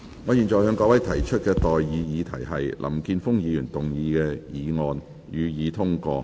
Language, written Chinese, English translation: Cantonese, 我現在向各位提出的待議議題是：林健鋒議員動議的議案，予以通過。, I now propose the question to you and that is That the motion moved by Mr Jeffrey LAM be passed